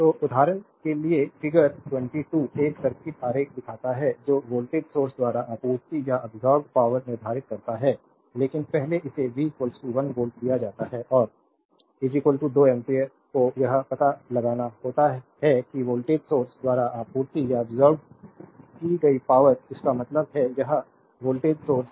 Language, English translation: Hindi, So, for example, figure 22 shows a circuit diagram determine the power supplied or absorbed by the voltage source, but first one it is given V is equal to 1 volt and I is equal to 2 ampere you have to find out that power supplied or absorbed by the voltage source; that means, this voltage source right